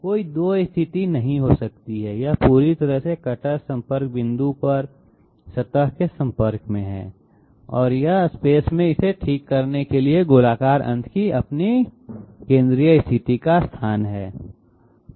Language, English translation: Hindi, There can be no 2 positions, it is not a it is completely you know in contact with the surface at the cutter contact point and this is this is the location of its central position of the spherical end to you know fix it in space